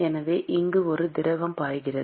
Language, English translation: Tamil, So, there is a fluid which is flowing here